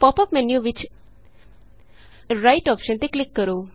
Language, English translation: Punjabi, In the pop up menu, click on the Right option